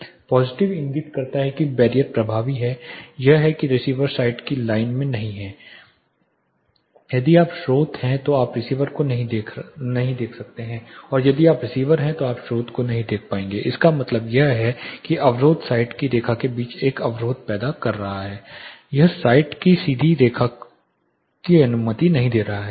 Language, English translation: Hindi, Positive indicates the barrier is effective that is the receiver is not in the line of site that is if you are the source you cannot see the receiver or if you are the receiver you will not be able to see the source; that is the barrier that is you know causing a block between the line of site it is not allowing direct line of site